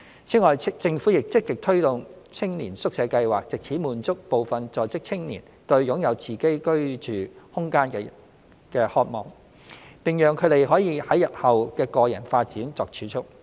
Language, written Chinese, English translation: Cantonese, 此外，政府亦積極推動青年宿舍計劃，藉此滿足部分在職青年對擁有自己居住空間的渴望，並讓他們可為日後的個人發展作儲蓄。, Moreover the Government has actively promoted the Youth Hostel Scheme to meet the aspirations of some working youth in having their own living spaces and enable them to accumulate savings for pursuing their aspirations in personal development